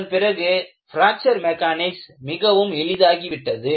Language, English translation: Tamil, Then, the whole of Fracture Mechanics became very simple